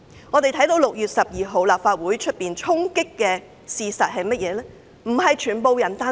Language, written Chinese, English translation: Cantonese, 我們看到6月12日立法會出現衝擊，但事實是甚麼？, We all saw the storming of the Legislative Council Complex on 12 June; what actually happened?